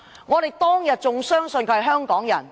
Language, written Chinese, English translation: Cantonese, 我們當天仍相信她是香港人。, We once believed that she was still a Hong Kong people